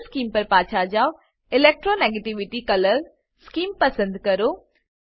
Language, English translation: Gujarati, Go back to Color Scheme, select Electronegativity color scheme